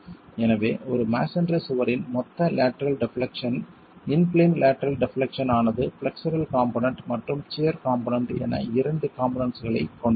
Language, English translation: Tamil, And so the total lateral deflection of a masonry wall in plain lateral deflection has two components, the flexural component and the shear component